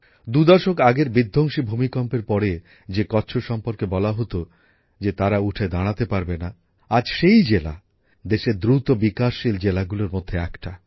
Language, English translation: Bengali, Kutch, was once termed as never to be able to recover after the devastating earthquake two decades ago… Today, the same district is one of the fastest growing districts of the country